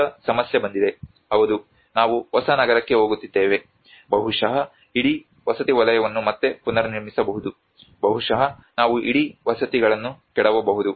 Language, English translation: Kannada, Now comes the problem yes we are moving to a new city maybe the whole housing sector can be rebuilt again maybe we can demolish the whole housing